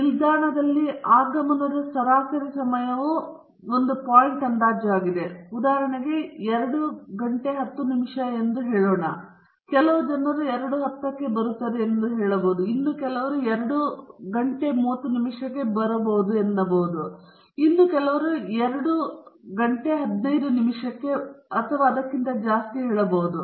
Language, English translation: Kannada, Point estimate may be the average time of arrival of the train to the station is let us say 2:10 okay; some people may say 2:10 pm, some people might 2:30 pm, some people may say 2:15 pm and so on